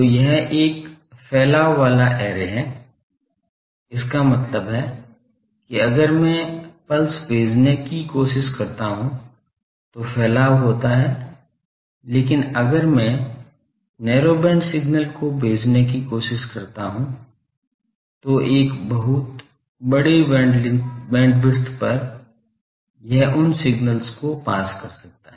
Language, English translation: Hindi, So, it is a dispersive array; that means, there are dispersion if it, if I try to send a pulse, but if I try to send narrow band signals, then over a very large bandwidth it can pass that signals